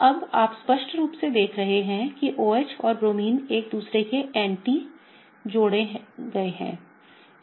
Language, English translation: Hindi, Now, if you see clearly the OH and the Bromine are added anti to each other, okay